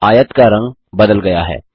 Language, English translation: Hindi, The color of the rectangle has changed